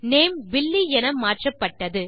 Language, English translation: Tamil, Our name has changed to Billy